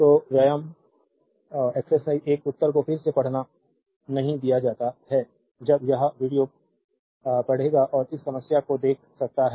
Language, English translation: Hindi, So, exercise 1 answers are given not reading again when you will read this video you can pause and see this problem